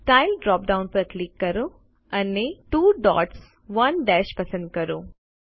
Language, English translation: Gujarati, Click on the Style drop down list and select 2 dots 1 dash